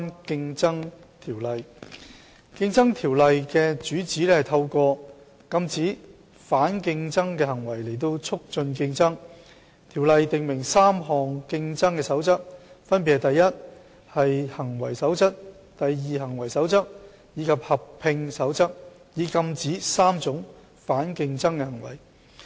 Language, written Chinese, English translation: Cantonese, 《競爭條例》的主旨是通過禁止反競爭行為來促進競爭，條例訂明3項"競爭守則"，分別是"第一行為守則"、"第二行為守則"及"合併守則"，以禁止3種反競爭行為。, The main objective of CO is to promote competition by prohibiting anti - competitive conduct . CO stipulates three Competition Rules namely the First Conduct Rule the Second Conduct Rule and the Merger Rule